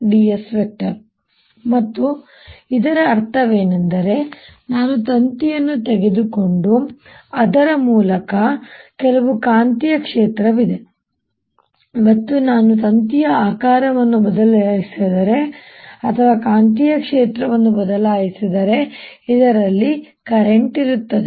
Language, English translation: Kannada, we may depend on t dot d s and what it meant is that if i take a wire and through there is some magnetic field and if i change the shape of wire or change the magnetic field, there is going to be current in this